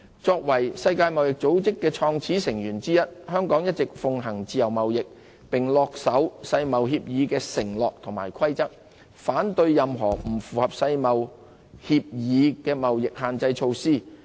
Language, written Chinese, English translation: Cantonese, 作為世界貿易組織創始成員之一，香港一直奉行自由貿易，恪守世貿協議的承諾和規則，反對任何不符合世貿協議的貿易限制措施。, As a founding member of the World Trade Organization WTO Hong Kong always pursues a free trade policy adhering to the commitments and rules of WTO and rejecting any restrictive trade measures that are inconsistent with WTO agreements